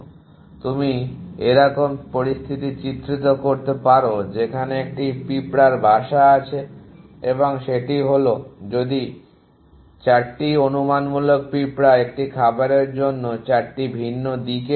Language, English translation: Bengali, So you can imaging the situation where there is an ant nest and that is if 4 hypothetical ants go of in 4 different direction in such of a food